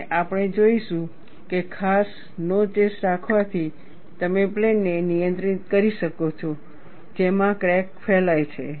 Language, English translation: Gujarati, And we would see, by having special notches, you could control the plane in which the crack will propagate